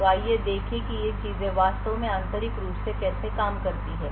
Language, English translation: Hindi, So, let us see how these things actually work internally